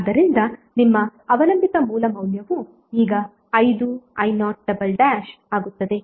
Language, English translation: Kannada, So your dependent source value will become now 5 i0 dash